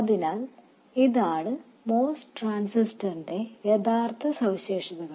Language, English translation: Malayalam, So, this is the true characteristics of the MOS transistor